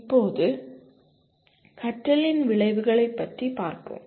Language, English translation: Tamil, Now, outcomes of learning